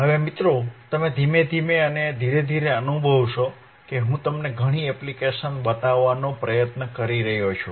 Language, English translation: Gujarati, Now guys you see slowly and gradually I am trying to show you several applications